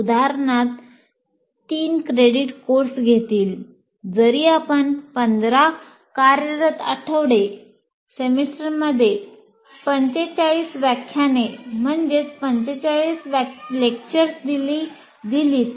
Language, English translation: Marathi, For example, a three credit course will take about even if you take 15 weeks, working weeks, it is 45 lectures in a semester